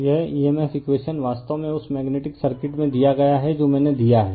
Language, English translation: Hindi, So, this emf equation is given actually in that magnetic circuit I have given